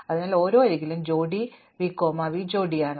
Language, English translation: Malayalam, So, each edge is the pair v comma v prime